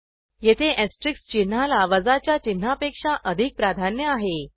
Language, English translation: Marathi, Here the asterisk symbol has higher priority than the minus sign